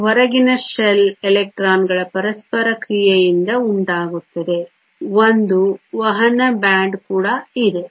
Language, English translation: Kannada, It is caused by the interaction between the outer shell electrons, there is also a conduction band